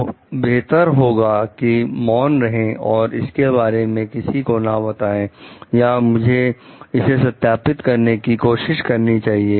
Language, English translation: Hindi, So, best is to keep silent and I do not report about it or I try to justify about it